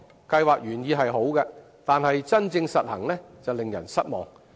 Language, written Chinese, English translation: Cantonese, 計劃原意雖好，但真正實行時卻令人失望。, Though well - intentioned the Scheme was disappointing in actual implementation